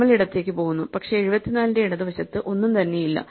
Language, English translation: Malayalam, So, we go left, but there is nothing to the left 74